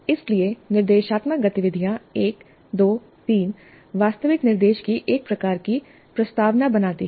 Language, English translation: Hindi, So the instructional activities 1 2 3 form a kind of preamble to the actual instruction